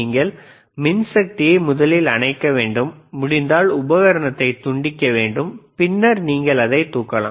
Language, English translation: Tamil, You have to switch off the power right, disconnect the equipment if possible and then you can lift it, all right